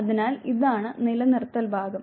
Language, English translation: Malayalam, So, this is the attention component